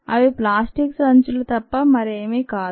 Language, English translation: Telugu, they are nothing but plastic bags, la